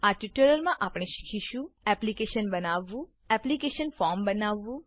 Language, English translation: Gujarati, In this tutorial, we will Create the application Create the application form